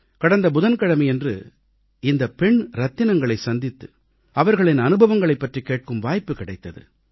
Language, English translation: Tamil, Last Wednesday, I got an opportunity to meet these daughters and listen to their experiences